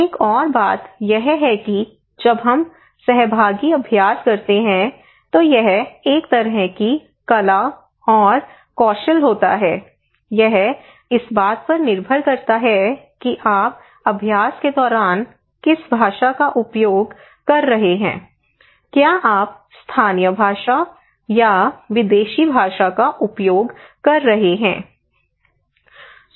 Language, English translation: Hindi, Another one is that when we conduct participatory exercises, it is a kind of art and a kind of skill, it depends on what language you are using during the exercise, are you using local knowledge, local language or the foreign language